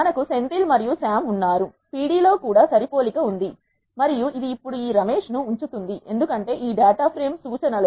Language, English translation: Telugu, We have Senthil and Sam there are matching in the pd also and it will keep this Ramesh now, because the references is this data frame